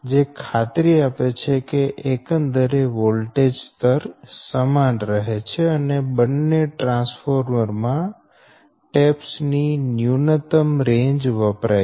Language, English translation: Gujarati, so as this ensures that the overall voltage level remains the same order and that the minimum range of taps on both transformer is used